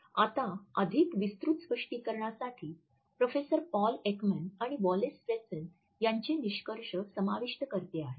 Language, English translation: Marathi, Now, for further elaboration I have included the findings of Professor Paul Ekman and Wallace Friesen for a more comprehensive explanation